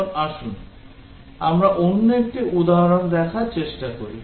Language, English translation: Bengali, Now, let us try to look at another example